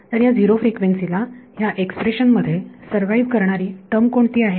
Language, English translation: Marathi, So, at zero frequency what is the term that survives in this expression